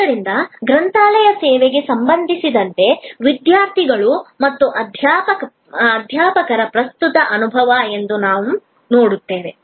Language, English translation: Kannada, So, we look that the current experience of students and faculty with respect to the library service